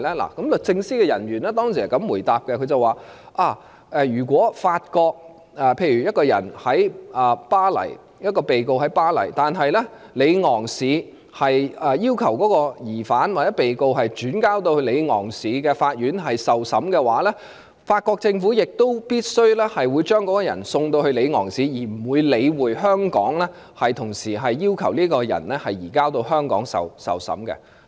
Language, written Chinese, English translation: Cantonese, 律政司的人員當時是這樣回答：例如一名被告身在法國巴黎，但是法國里昂市要求將該疑犯或被告轉移到里昂市的法院受審，法國政府亦必會將該人士送到里昂市，而不會理會香港同時提出將該人士移交到香港受審的要求。, The officer from Department of Justice replied that if a defendant was in Paris France while the city of Lyon requested the transfer of the suspect or defendant to the court in Lyon to stand a trial the French Government would definitely transfer that person to Lyon and would ignore the simultaneous request made by Hong Kong for the surrender of that person to Hong Kong to stand a trial